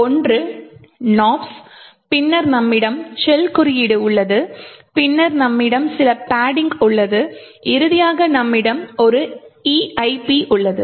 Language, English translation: Tamil, One is nops then you have the shell code then you have some padding and finally you have an EIP